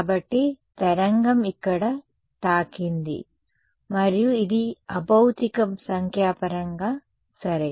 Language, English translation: Telugu, So, the wave hits over here and this is unphysical numerical ok